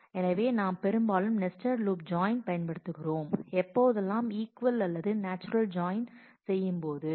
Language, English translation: Tamil, So, we often use the nested loop join when we have to do equal join or natural join